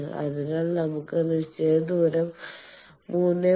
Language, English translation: Malayalam, So, let us say that fixed distance is 3